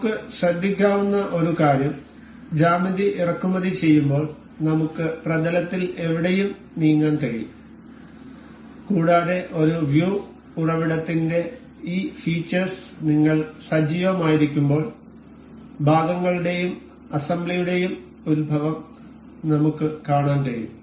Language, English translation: Malayalam, One thing we can note is that while importing the geometry we can move anywhere in the plane and while we have activated this feature of a view origins we can see the origins of both the parts and the assembly